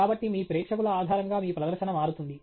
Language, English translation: Telugu, So, your presentation changes based on your audience